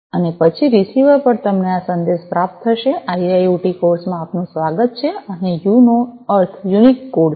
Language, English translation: Gujarati, And then at the receiver, you know you are going to receive this message ‘welcome to IIoT course’ and u stands for unique code